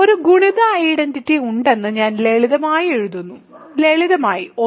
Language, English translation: Malayalam, So, I will simply write that there is a multiplicative identity, simply 1